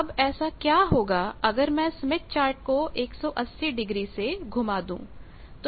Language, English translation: Hindi, Now, what happens if I rotate the smith chart by 180 degree